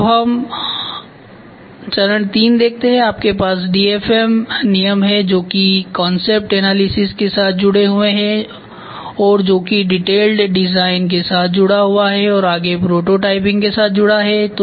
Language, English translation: Hindi, So now let us see phase III you have DFM rules which is in turn linked with cost analysis and this in turn is attached with detailed design and this in turn is attached with prototyping